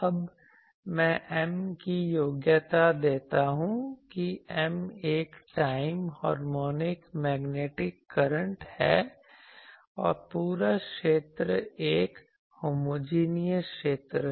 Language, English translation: Hindi, Now, I give the qualifications of M that M is a time harmonic magnetic current, time harmonic magnetic current also the whole region is a Homogeneous region